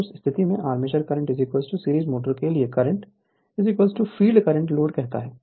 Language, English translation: Hindi, So, in that case armature current is equal to load current is equal to field current for series motor